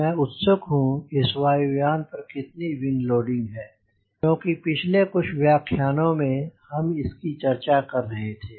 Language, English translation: Hindi, so i need to know what is the wing loading of this aircraft because that we have being talking for last few lectures